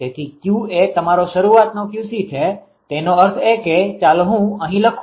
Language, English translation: Gujarati, So, Q is Q c your initial; that means, ah let me write down here